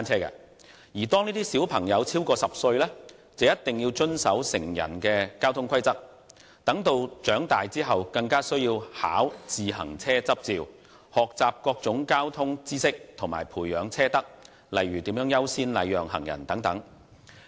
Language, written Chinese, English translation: Cantonese, 而當兒童超過10歲便必須遵守成人的交通規則，待長大後更需要考取單車執照，學習各種交通知識，以及培養車德，例如優先禮讓行人等。, Children over the age of 10 must comply with traffic rules just like adults . They will need to get a cycling licence to learn various traffic knowledge and etiquette such as giving way to pedestrians when they grow up